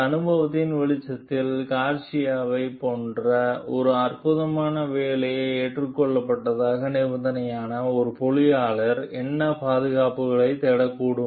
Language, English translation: Tamil, In the light of this experience, what safeguards might an engineer seek as a condition of accepting an exciting assignment like Garcia s